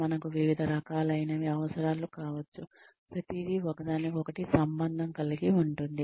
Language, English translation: Telugu, We may need different kinds, everything is sort of interrelated